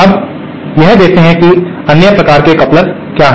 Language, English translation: Hindi, Now, with this let us see what other various types of couplers